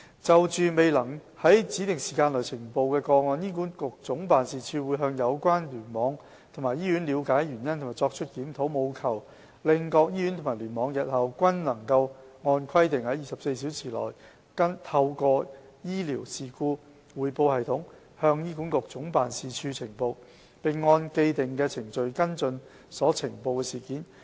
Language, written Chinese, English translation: Cantonese, 就着未能於指定時間內呈報的個案，醫管局總辦事處會向有關聯網及醫院了解原因及作出檢討，務求令各醫院及聯網日後均能按規定於24小時內透過醫療事故匯報系統向醫管局總辦事處呈報，並按既定程序跟進所呈報的事件。, As for cases which are not reported within the time specified HA Head Office will seek explanation from the clusters and hospitals concerned and conduct reviews to ensure that all hospitals and clusters report the cases to HA Head Office via the Advanced Incident Reporting System AIRS within 24 hours and handle the cases in accordance with the established procedures